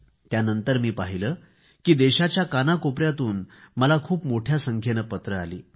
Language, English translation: Marathi, But, later, I received letters from all corners of the country